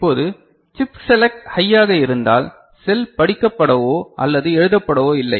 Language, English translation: Tamil, Now, if chip select is high, if chip select is high then the cell is neither read nor written in ok